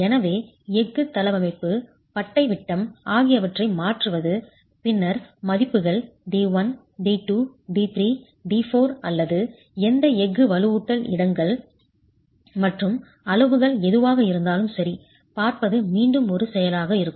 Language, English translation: Tamil, So it would be an iterative process to go and change the layout of steel, the bar diameters, and then look at the values D1, D2, D3, D4 or whatever those steel reinforcement locations and sizes are